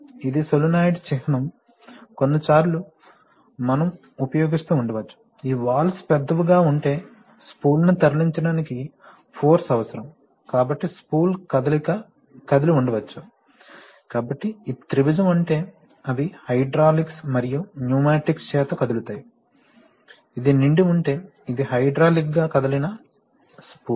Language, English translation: Telugu, So, we may be moving, if we write like this, this is a solenoid symbol, sometimes we may be using, if there are, if these valves are big it requires force to move the spool, so the spool maybe moved by either, so this triangle means they are moved by hydraulics and pneumatics, if this is filled up, this is a hydraulically moved spool